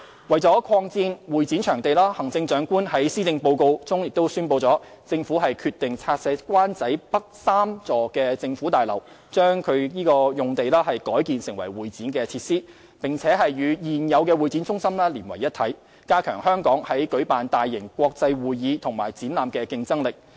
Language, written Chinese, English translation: Cantonese, 為擴展會展場地，行政長官在施政報告中宣布，政府決定拆卸灣仔北3座政府大樓，將該用地改建為會展設施，並與現有會展中心連為一體，加強香港在舉辦大型國際會議及展覽的競爭力。, In order to expand the convention and exhibition venues the Chief Executive announced in the Policy Address the Governments decision to demolish the three government buildings in Wan Chai North and redevelop the site into convention and exhibition facilities . The new facilities will be connected to and integrated with the existing Hong Kong Convention and Exhibition Centre to strengthen Hong Kongs competitiveness in hosting large - scale international conventions and exhibitions